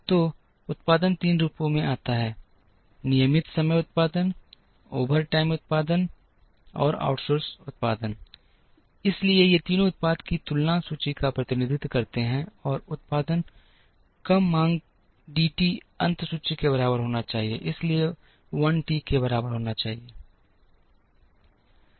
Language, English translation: Hindi, So, production comes in 3 forms regular time production, overtime production, and outsourced production, so these three represent the production beginning inventory plus production less demand D t should be equal to the ending inventory, so should be equal to I t